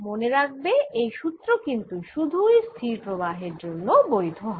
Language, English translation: Bengali, remember, these formulas are valid only if the current is steady